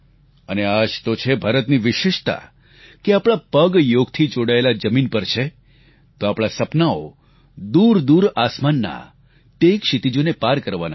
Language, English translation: Gujarati, And this is the unique attribute of India, that whereas we have our feet firmly on the ground with Yoga, we have our dreams to soar beyond horizons to far away skies